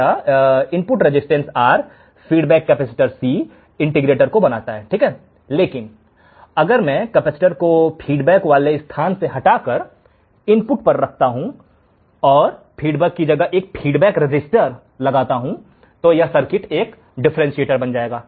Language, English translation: Hindi, Our input resistance R, feedback capacitor C forms the integrator, but if I change the capacitor from its point its feedback to the input, and I have feedback resistor then my circuit will become a differentiator